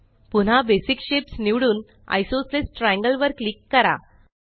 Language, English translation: Marathi, We shall select Basic shapes again and click on Isosceles triangle